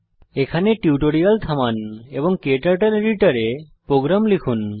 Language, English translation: Bengali, Pause the tutorial here and type the program into your KTurtle editor